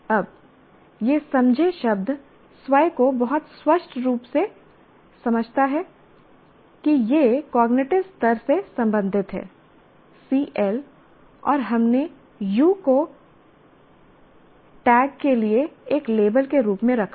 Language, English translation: Hindi, Now the word understand itself very clearly says it belongs to cognitive level, CL is cognitive level, and we put U as a label for that, tag for that